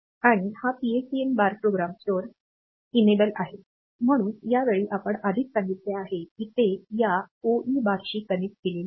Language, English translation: Marathi, And this PSEN bar is the program store enable, so again this we have already said, this connected to this OE bar